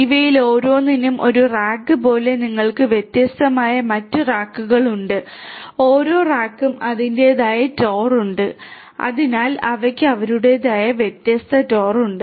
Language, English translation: Malayalam, Each of these this is one rack this is one rack like that you have different other racks like this each rack has it is own TOR so, they have their own different TOR and so on right